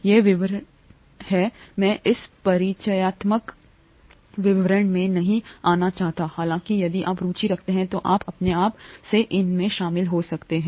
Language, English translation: Hindi, These are details, I don’t want to get into details in this introductory course, however if you’re interested you can get into these by yourself